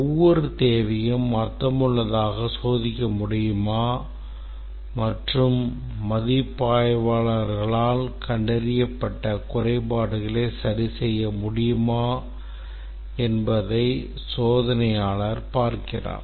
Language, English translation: Tamil, The tester see if every requirement can be tested meaningfully and the defects that are detected by the reviewers can be corrected